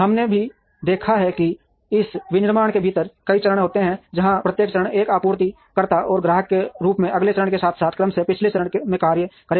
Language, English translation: Hindi, We have also seen that within this manufacturing, there are several stages where each stage will act as a supplier and customer to the next stage, as well as the previous stage respectively